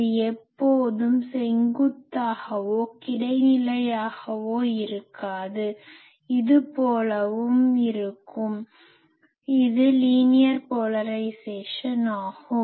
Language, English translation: Tamil, You see it not be always like this vertical or horizontal; it can be something like this, this is also in case of linear polarisation, this is also in case of linear polarisation